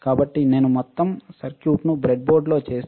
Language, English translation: Telugu, So, if I make the entire circuit on the breadboard entire circuit